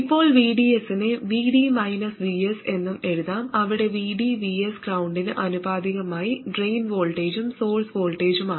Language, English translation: Malayalam, Now VDS can also be written as VD minus VS, where VD and VS are the drain voltage and the source voltage with respect to some ground